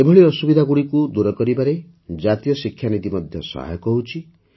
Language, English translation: Odia, The new National Education Policy is also helping in eliminating such hardships